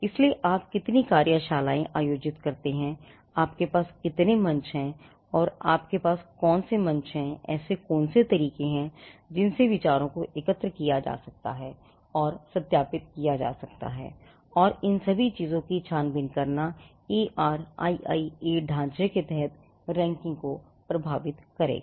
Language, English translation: Hindi, So, how many workshops you conduct, how many forums open forums you have, what are the ways in which ideas can be collected and verified and scrutinized all these things would affect the ranking under the ARIIA framework